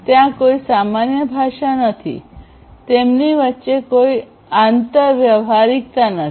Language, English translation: Gujarati, There is no common language, there is no, you know, there is no interoperability between them